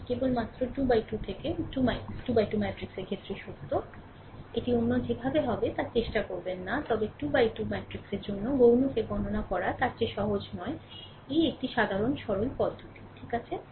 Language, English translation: Bengali, This is a true only for 3 into 3 into 3 matrix, do not try for other thing it will never be, but for 3 into 3 matrix, it is easy to compute rather than computing your minor another thing state forward we will get it, this is a simple simple procedure, right